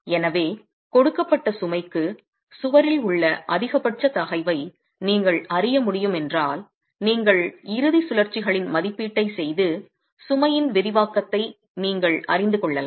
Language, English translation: Tamil, So this is, if for a given load, the maximum stress in a wall can be known if you can make an estimate of the end rotations and you know the excensity of the load